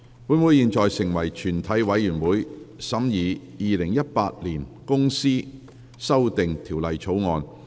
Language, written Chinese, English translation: Cantonese, 本會現在成為全體委員會，審議《2018年公司條例草案》。, Council now becomes committee of the whole Council to consider the Companies Amendment Bill 2018